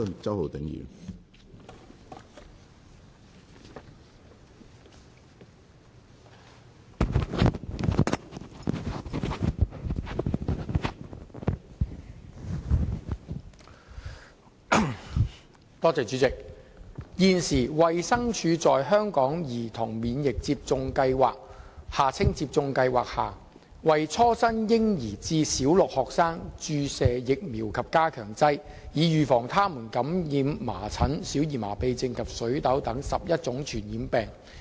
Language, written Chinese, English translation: Cantonese, 主席，現時，衞生署在香港兒童免疫接種計劃下，為初生嬰兒至小六學生注射疫苗及加強劑，以預防他們感染麻疹、小兒麻痺症及水痘等11種傳染病。, President at present the Department of Health DH provides vaccines and boosters for children from birth to Primary Six under the Hong Kong Childhood Immunisation Programme in order to protect them from 11 infectious diseases such as measles poliomyelitis and chickenpox